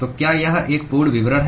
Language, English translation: Hindi, So, is this is a complete description